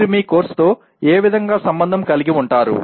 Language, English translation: Telugu, In what way you can relate to your course